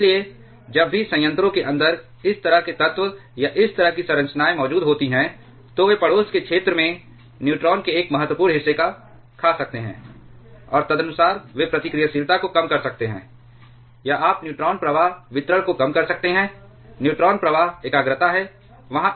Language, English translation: Hindi, Therefore, whenever this kind of elements or these kinds of structures are present inside the reactor, they can eat up a significant portion of the neutrons in the neighborhood area, and accordingly they can reduce the reactivity, or you can reduce the neutron flux distribution there, neutron flux concentration there